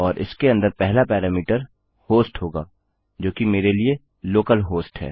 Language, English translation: Hindi, And inside this the first parameter will be a host which is localhost for me